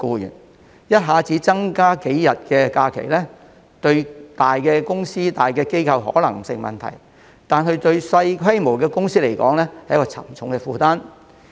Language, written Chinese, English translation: Cantonese, 如果一下子增加數天假期，對於大公司、大機構而言可能不成問題，但對於規模較小的公司卻是沉重負擔。, Adding a few days of holidays may not be a problem for large enterprises and organizations but it can be a heavy burden for companies of smaller scales